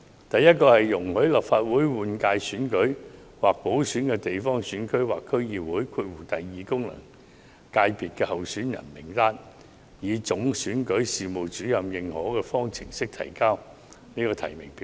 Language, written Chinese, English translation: Cantonese, 第一，容許立法會換屆選舉或補選的地方選區或區議會功能界別候選人名單上的候選人，以總選舉事務主任認可的方式呈交提名表格。, The first amendment is to allow candidates in candidate lists for a GC or the DC second FC of the Legislative Council general election or by - election to submit the nomination form in a way authorized by the Chief Electoral Officer